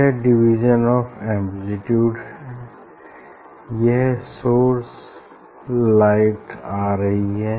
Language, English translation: Hindi, And division of amplitude is this is the source light is coming